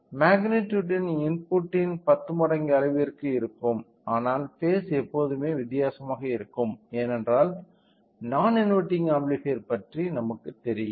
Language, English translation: Tamil, A magnitude will be a 10 times of the input, but the phase will always be different that is because of our you know inverting non inverting type of amplifier